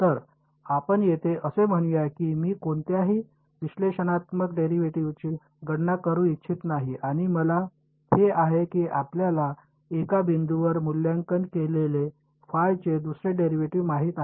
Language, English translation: Marathi, So, here let us say that I do not want to calculate any analytical derivatives and I have this you know second derivative of phi evaluated at one point